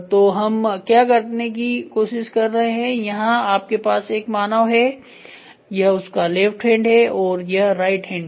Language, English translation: Hindi, So, what are we trying to do is you have a human then he has a left hand and right hand